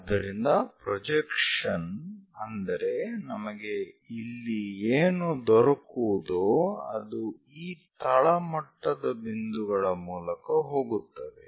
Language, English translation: Kannada, So, the projection projections what we are going to get here goes via these bottom most points